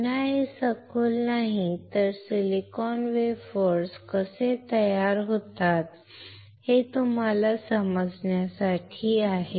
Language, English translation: Marathi, Again this is not in depth but just to make you understand how the silicon wafers are are formed